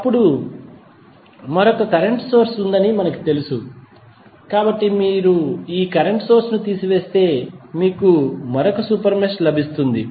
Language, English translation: Telugu, Now, we know that there is another current source, so if you remove this current source you will get one super mesh as this one, right